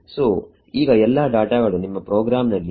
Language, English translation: Kannada, So, now, all your data is in your program